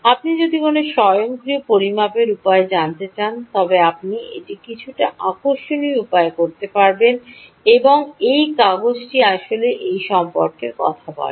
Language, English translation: Bengali, if you want to do an automatic measurement way, you would do it, ah, in a slightly interesting manner, and this paper actually talks about that